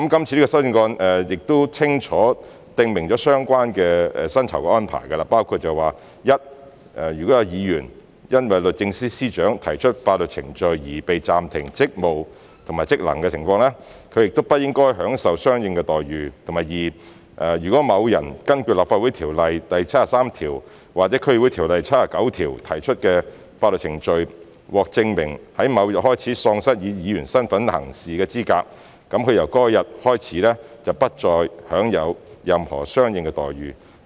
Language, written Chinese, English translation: Cantonese, 這項修正案清楚訂明相關的薪酬安排，包括：第一，如果有議員因為律政司司長提出法律程序而被暫停職務和職能的情況，他不應享受相應的待遇；第二，如果在根據《立法會條例》第73條或《區議會條例》第79條提出的法律程序中，證明某人在某日開始喪失以議員身份行事的資格，他由該日開始便不再享有任何相應的待遇。, The amendments have clearly provided for the relevant remuneration arrangements . These include first if a member whose functions and duties are suspended as a result of proceedings brought by the Secretary for Justice no corresponding entitlements shall be enjoyed by him or her . Second if in proceedings brought under section 73 of the Legislative Council Ordinance or section 79 of the District Councils Ordinance it is proved that a person was disqualified from acting as a member beginning on a date the person ceased to be entitled to any corresponding entitlement beginning on that date